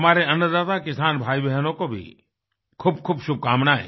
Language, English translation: Hindi, Best wishes to our food providers, the farming brothers and sisters